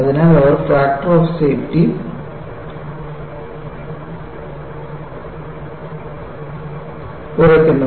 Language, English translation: Malayalam, So, they bring down the factor of safety